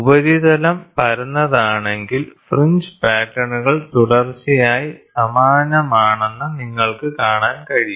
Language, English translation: Malayalam, So, if the surface is flat, you can see the fringe patterns continuously are the same